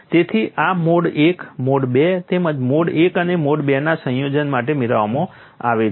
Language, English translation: Gujarati, So, this is obtained for mode one, mode two as well as combination of mode one and mode two